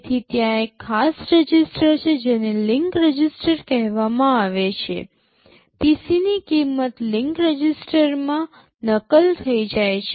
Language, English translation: Gujarati, So, there is a special register called the link register, the value of the PC gets copied into the link register